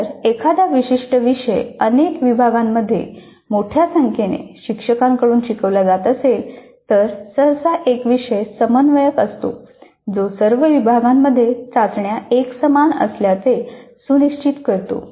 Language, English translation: Marathi, And if a particular course is being offered by a larger number of faculty to multiple sections, then usually there is a course coordinator who ensures that the tests are uniform across all the sections